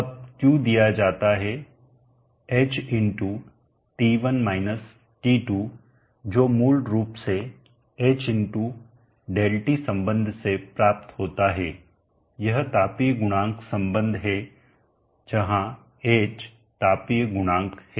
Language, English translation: Hindi, now q is given by h x t1 – t2 which is obtain from basically h x dt relationship the thermal coefficient relationship where h is the thermal coefficient